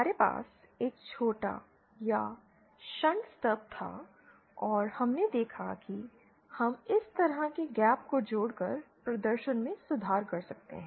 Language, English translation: Hindi, We had a shorted or a shunt stub and we saw that we could improve the performance by adding a gap like this